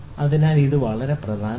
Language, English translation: Malayalam, So this is very important